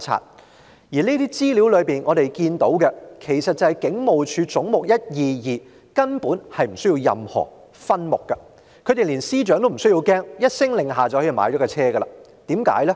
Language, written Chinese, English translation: Cantonese, 在前述文件和資料中，我們看到"總目 122― 香港警務處"其實根本無須下設任何分目，警隊連司長也不害怕，只要一聲令下便可以購買車輛。, In those aforementioned papers and information we learnt that there is definitely no need to put any subhead under Head 122―Hong Kong Police Force . The Police Force are not afraid of even the Secretary and vehicles will be purchased on a word from them